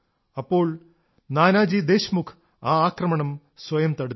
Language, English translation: Malayalam, It was Nanaji Deshmukh then, who took the blow onto himself